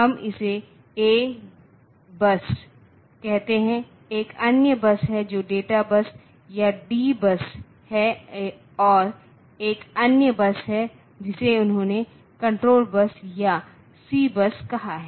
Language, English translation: Hindi, So, is known as the address bus we call it the A bus there is another bus which is the data bus or D bus and there is another bus which he called the control bus or the C bus